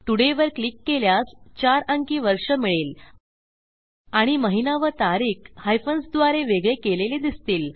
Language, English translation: Marathi, When I click today, you can see here that we have got the year in a 4 digit format and our month here and our day here, separated by hyphens